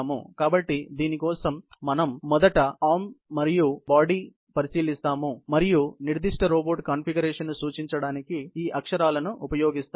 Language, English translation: Telugu, So, for this we consider the arm and the body first, and use these letters to designate the particular robot configuration